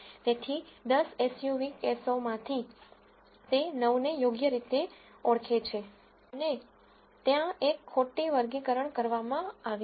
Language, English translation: Gujarati, So, out of the 10 SUV cases it has identified 9 correctly and there has been 1 mis classification